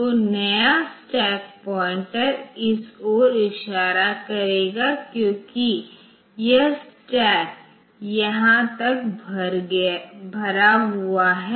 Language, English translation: Hindi, So, new stack pointer will be pointing to this because the up to this much the stack is full now